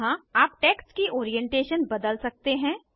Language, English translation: Hindi, Here you can change Orientation of the text